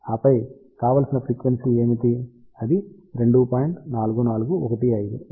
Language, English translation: Telugu, And, then what is the desired frequency 2